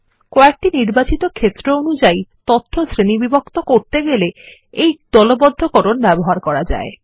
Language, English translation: Bengali, This is used whenever we need to group the data by a set of selected fields